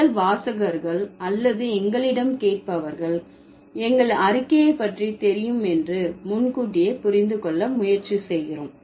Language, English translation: Tamil, We try to understand in advance, we understand it from advance that in advance that our reader or our listeners are aware about our statement